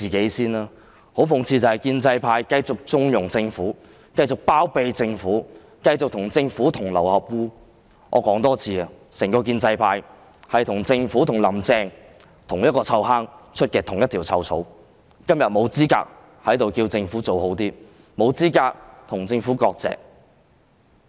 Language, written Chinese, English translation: Cantonese, 可是，很諷刺的是，建制派繼續縱容及包庇政府，繼續與政府同流合污，我要說多一次，整個建制派與政府和"林鄭"同樣是臭罌出臭草，今天沒有資格在此要求政府做好一點，沒有資格與政府割席。, I have to say this one more time . The entire pro - establishment camp is foul grass coming from the same foul vase as the Government and Carrie LAM . Today they have no claim to demanding that the Government does a better job and severing ties with the Government